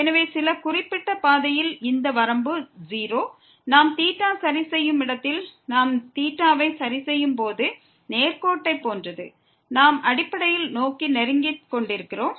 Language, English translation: Tamil, So, in some particular path this limit is 0; where we are fixing the theta it is like the straight line in the case of the straight line when we are fixing the theta, we are basically approaching towards